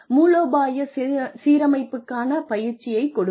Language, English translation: Tamil, Give training, a strategic alignment